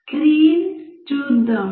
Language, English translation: Telugu, Let us see the screen